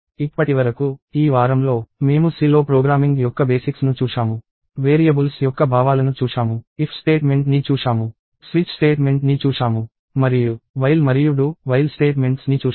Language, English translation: Telugu, So far, in this week, we have seen basics of programming in C; we saw the notions of variables; we saw the if statement; we saw the switch statement; and we saw for while and do while statements